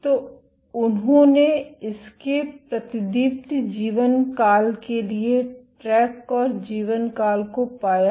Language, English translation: Hindi, So, they track to the fluorescence lifetime of this and found the lifetime of